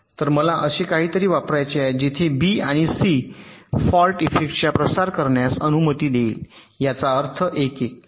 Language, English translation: Marathi, so i want to apply something where b and c will be allowing the fault effect to propagate